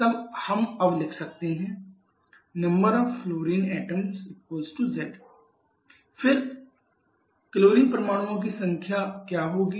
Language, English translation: Hindi, Then we now can write number of fluorine is equal to z then what will be the number of chlorine